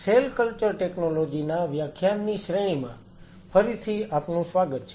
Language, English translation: Gujarati, Welcome back to the lecture series in Cell Cultural Technologies